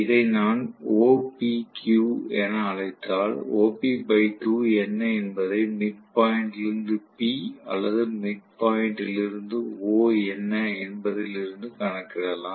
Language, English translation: Tamil, If I may call this as OPQ I want to get what is OP by 2 from the midpoint to P or midpoint to O